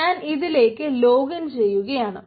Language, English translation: Malayalam, so i am logging into it